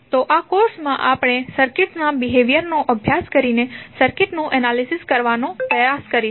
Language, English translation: Gujarati, So, what we will study in this course; we will try to analyse the circuit by studying the behaviour of the circuit